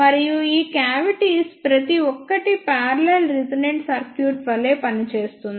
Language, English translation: Telugu, And each one of these cavities acts as a parallel resonant circuit as shown by this